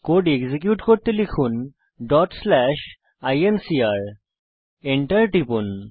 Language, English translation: Bengali, To execute Type ./ incr.Press Enter